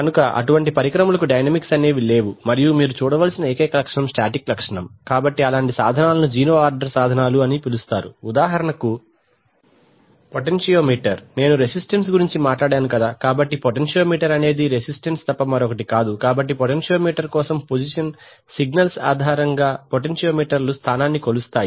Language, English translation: Telugu, So it is a so for such instrument there is no dynamics and the static characteristic is the only characteristic that you need to see, so such instruments are called zero order instruments for example typically for example, Potentiometer, when I was talking about a resistance right, so a potentiometer is nothing but a resistance, so for a potentiometer the position signals, potentiometers typically measure position which